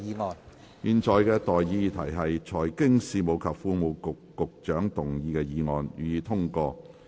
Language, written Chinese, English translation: Cantonese, 我現在向各位提出的待議議題是：財經事務及庫務局局長動議的議案，予以通過。, I now propose the question to you and that is That the motion moved by the Secretary for Financial Services and the Treasury be passed